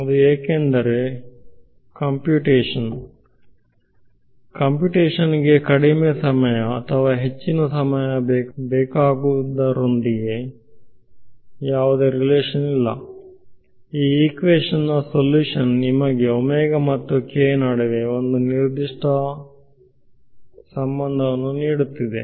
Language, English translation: Kannada, Computation that has nothing to do with whether it takes less time or more time, it has to do with the fact that the solution to this equation is giving you a certain relation between omega and k